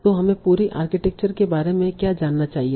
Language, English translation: Hindi, So what do we need to know about the whole architecture